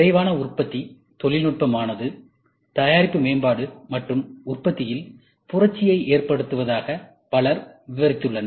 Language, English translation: Tamil, Many people have described rapid manufacturing technology as revolutionizing product development and manufacturing